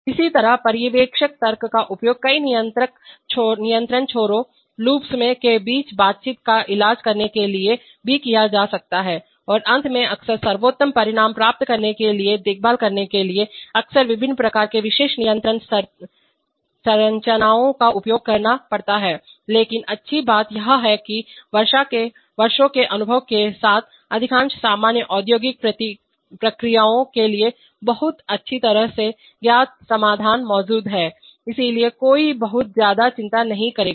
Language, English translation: Hindi, Similarly, supervisor logic may also be used to treat interaction between multiple control loops and finally, often for taking care for getting the best results, often various kinds of special control structures have to be used but the good thing is that, with years of experience for most of the common industrial processes very well known solutions exist, so one will not worry too much